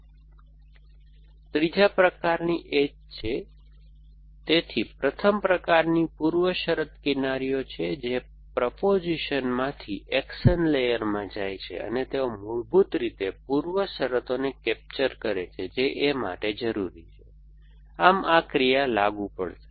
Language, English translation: Gujarati, So, that is a third kind of edge, so first kind is precondition edges which go from a propositions to an action layer and they basically capture the preconditions that A is necessary, thus action to be applicable